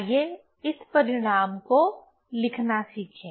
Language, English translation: Hindi, So, let us learn this how to, how to write this result